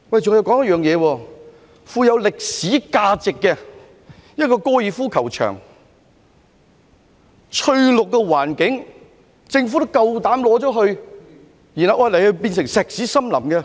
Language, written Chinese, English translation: Cantonese, 再說，一個富有歷史價值的高爾夫球場，擁有翠綠的環境，政府也膽敢收回，然後把它變成石屎森林。, Besides the Government has the courage to recover a golf course with rich historical value and a verdant environment and then turning it into a concrete jungle